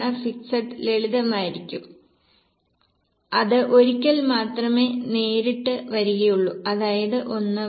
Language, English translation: Malayalam, Fix will be simple, it will directly be only coming once that is by 1